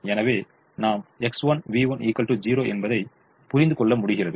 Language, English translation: Tamil, so we realize that x one, v one is equal to zero